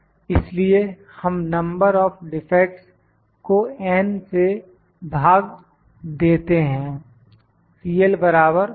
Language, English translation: Hindi, So, we divide just it the number of defects by n